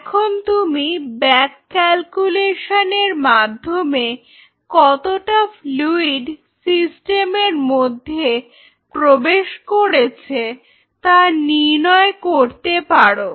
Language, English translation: Bengali, Now, you can back calculate and figure out how much fluid has gone into the system